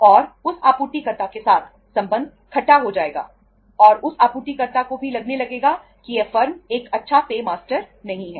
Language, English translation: Hindi, And that supplier, relationship with the supplier will sour and that supplier may also start feeling that this firm is not a good pay master